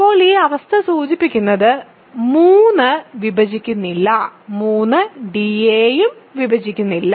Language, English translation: Malayalam, So, 3 does not divide b and d